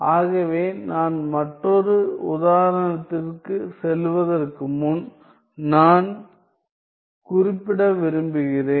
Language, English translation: Tamil, So, before I move on to another example I would like to mention